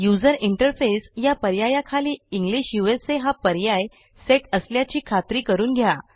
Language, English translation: Marathi, Under the option User interface,make sure that the default option is set as English USA